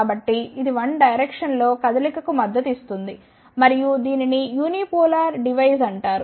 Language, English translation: Telugu, So, it supports the movement in 1 direction and this is called as the unipolar device